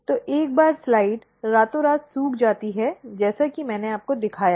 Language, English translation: Hindi, So, once the slide is dried overnight as I have shown you